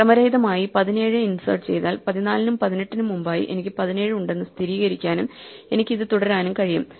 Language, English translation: Malayalam, So, I can for random insert 17 and verify that now 17 is there before 14 and 18 and I can keep doing this, I can insert I can even insert values in between like 4